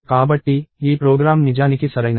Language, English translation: Telugu, So, this program is actually correct